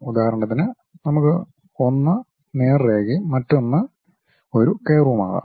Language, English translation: Malayalam, For example, we can have one is a straight line other one is a curve